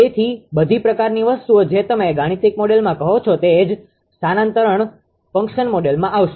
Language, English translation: Gujarati, So, all some things will come in the what you call in the mathematical model right, in the transfer function model